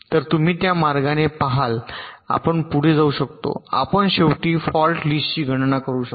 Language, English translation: Marathi, so you see that in this way you can proceed, you can compute the fault list finally